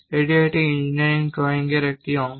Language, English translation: Bengali, This is one part of engineering drawing